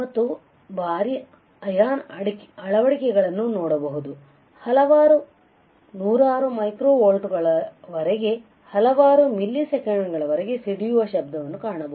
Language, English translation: Kannada, And there is a heavy ion implantation you will see or you will find there is a burst noise as high as several hundred micro volts lasts for several milliseconds